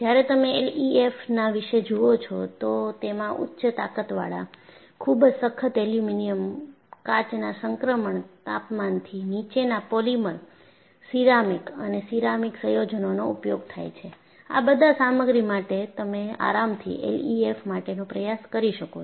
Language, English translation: Gujarati, And, when you look at L E F M, if I use high strength steel, precipitation hardened aluminum, polymers below glass transition temperature, ceramics and ceramic composites; for all of these materials, you could comfortably go and attempt L E F M